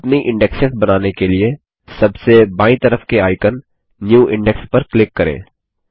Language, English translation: Hindi, Let us click on the left most icon, New Index, to create our index